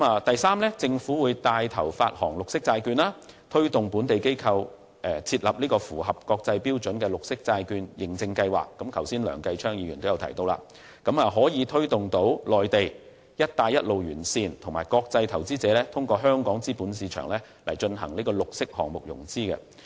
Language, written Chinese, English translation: Cantonese, 第三，政府會帶頭發行綠色債券，推動本地機構設立符合國際標準的綠色債券認證計劃，梁繼昌議員剛才也有提到，從而推動內地"一帶一路"沿線和國際投資者通過香港資本市場進行綠色項目融資。, Third the Government will take the lead in arranging the issuance of a green bond and promote the establishment of green bond certification schemes that meet with international standards by local entities a point mentioned by Mr Kenneth LEUNG earlier on with a view to encouraging investors in the Mainland and along the Belt and Road as well as international investors to arrange financing of their green projects through Hong Kongs capital markets